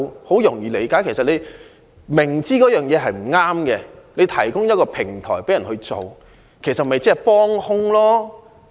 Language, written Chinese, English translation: Cantonese, 某人如果明知一件事不對，卻提供一個平台讓別人做，其實是幫兇。, If a person clearly knows that it is not right to do something but provides a platform for others to take that action he is actually their accomplice